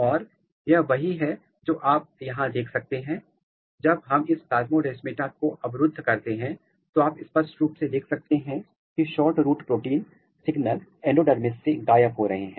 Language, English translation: Hindi, And, this is what you can see here when we block this plasmodesmata you can clearly see that the signal SHORTROOT protein signals are disappearing from the endodermis